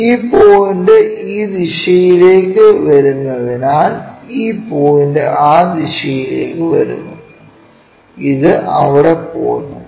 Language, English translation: Malayalam, So, that this point comes this direction this point comes in that direction this one goes there